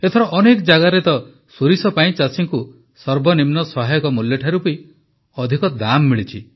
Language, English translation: Odia, This time in many places farmers have got more than the minimum support price MSP for mustard